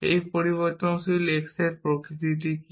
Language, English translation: Bengali, What is the nature of this variable x